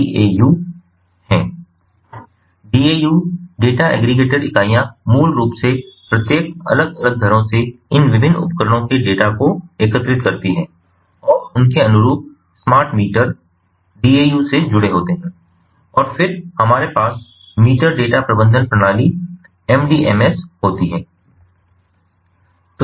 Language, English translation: Hindi, the data aggregator units basically aggregates data from these different appliances at different homes, from each of these homes, each of these homes, ah, and their corresponding smart meters are connected to the daus, and then we have the meter data management system, the mdms, the